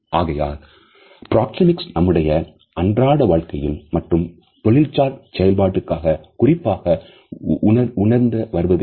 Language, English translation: Tamil, So, what exactly are the Connotations of proxemics in our day to day life, as well as in our day to day professional performance